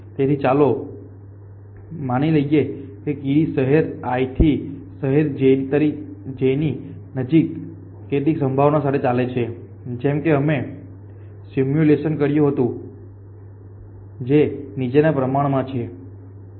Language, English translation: Gujarati, So, let us assume that ant at a city i moves to city j with a probability little bit like what we did in the simulated